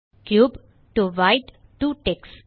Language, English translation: Tamil, Cube to White to Tex